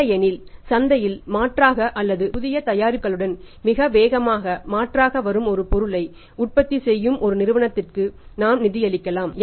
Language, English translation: Tamil, Otherwise it may be possible that we have safe funded a company who is manufacturing a product which is substituted or going to be substituted very fast with the new products coming up in the market